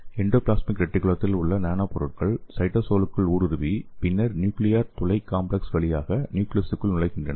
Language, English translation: Tamil, And here this nanomaterials in the endoplasm reticulum penetrated into the cytosol okay and then enter the nucleus through the nuclear pore complex